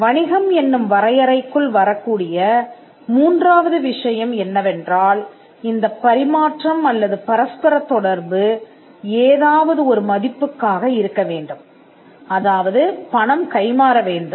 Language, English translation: Tamil, The third thing that to fall within the definition of a business, this exchange or this interaction of the thing the interaction of the thing, has to be for a value which means money passes hands, or the exchange is itself of valuable goods